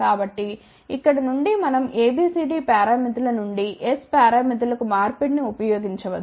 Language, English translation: Telugu, So, from here we can use the conversion from A B C D parameter to S parameter right